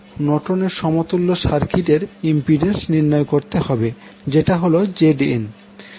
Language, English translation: Bengali, We need to find out value of Norton’s equivalent impedance that is Zn